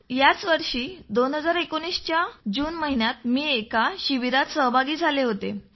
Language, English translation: Marathi, This year in June I attended a camp